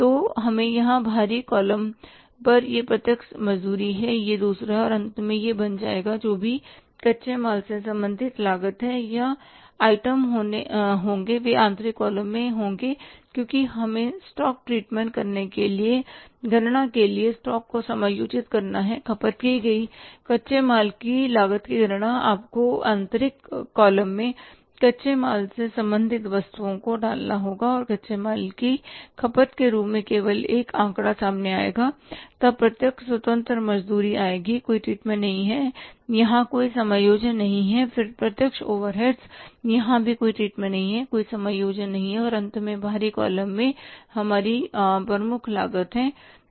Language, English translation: Hindi, So, it will go to the outer column here this is the direct wages, this is the other and finally this will become the so whatever the raw material related cost and the items that they will be in the inner column because we have to treat the stock adjust the stock for calculating calculation of the cost of raw material consumed you have to put the items relating to raw material in the inner column and only one figure will come out as the cost of raw material consumed then direct wages independent no treatment no adjustment direct overheads treatment, no adjustments and finally the in the outer column we have the prime cost